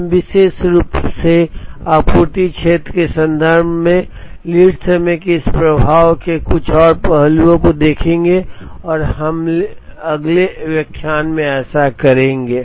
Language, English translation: Hindi, We will see some more aspects of this affect of lead time particularly, in the context of supply field and we will do that in the next lecture